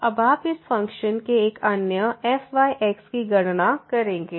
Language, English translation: Hindi, Now you will compute the other one of this function